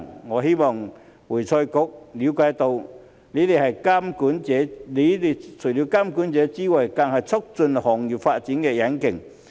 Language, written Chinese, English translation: Cantonese, 我希望會財局了解到，你們除了是監管者之外，更是促進行業發展的引擎。, I hope that AFRC will understand that it is not only the regulator but also the engine for the development of the profession